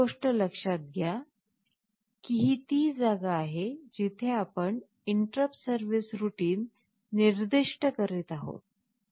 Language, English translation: Marathi, First thing is that you note this is the place where we are specifying the interrupt service routine